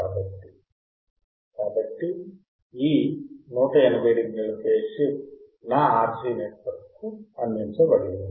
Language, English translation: Telugu, So, this 180 degree phase shift is provided to my RC network